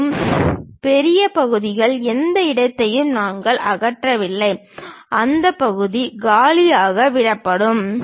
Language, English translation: Tamil, And, the places where the larger portions we did not remove any material that portion will be left blank